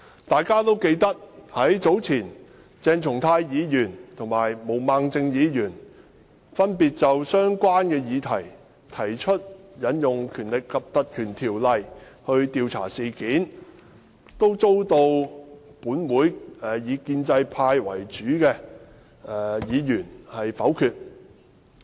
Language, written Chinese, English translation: Cantonese, 大家也記得，早前鄭松泰議員和毛孟靜議員分別就相關的議題提出引用《條例》來調查事件，均遭立法會內以建制派為主的議員否決。, Members should remember that separate attempts by Dr CHENG Chung - tai and Ms Claudia MO earlier to invoke the power of the Ordinance to investigate into related subjects have been rejected by this Council mainly the pro - establishment Members